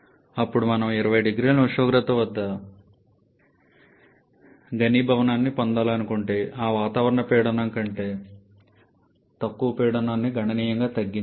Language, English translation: Telugu, Then if we want to attain condensation say at a temperature of 20 degree Celsius we have to reduce the pressure significantly below that atmospheric pressure